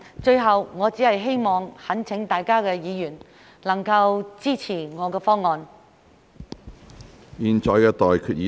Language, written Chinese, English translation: Cantonese, 最後，我只想懇請各位議員能夠支持我的議案。, Last but not least I would like to implore Members to support my motion